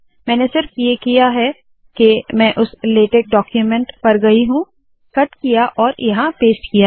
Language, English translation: Hindi, All that I have done is, I went to that latex document, cut and pasted it here, thats all